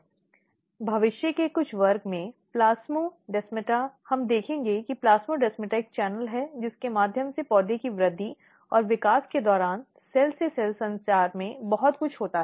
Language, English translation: Hindi, Plasmodesmata in some of the future class we will see that plasmodesmata is a channel through which lot of cell to cell communication takes place during the plant growth and development